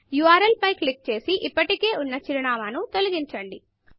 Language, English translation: Telugu, Click on the URL and delete the address that is already there